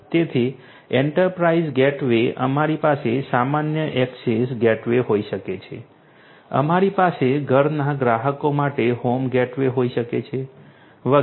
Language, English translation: Gujarati, So, enterprise gateway; enterprise gateway, we can have normal access gateways, we can have home gateways for home customers and so on